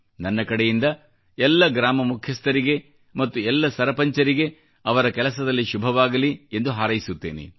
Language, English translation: Kannada, For my part I wish good luck to all the village heads and all the sarpanchs for their dynamism